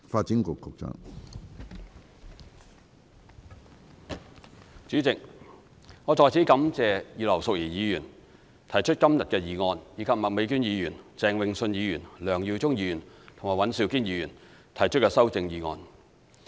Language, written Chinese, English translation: Cantonese, 主席，我在此感謝葉劉淑儀議員提出今天的議案，以及麥美娟議員、鄭泳舜議員、梁耀忠議員和尹兆堅議員提出修正案。, President I thank Mrs Regina IP for moving the motion today and Ms Alice MAK Mr Vincent CHENG Mr LEUNG Yiu - chung and Mr Andrew WAN for proposing amendments